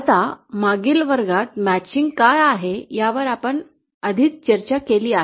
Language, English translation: Marathi, Now we have already discussed what is matching in the previous classes